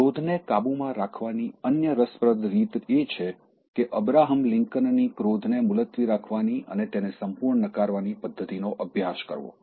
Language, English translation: Gujarati, The other interesting way to control anger is to practice Abraham Lincoln’s method of postponing anger and completely negating it